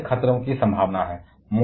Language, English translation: Hindi, There is possibility of radiation hazards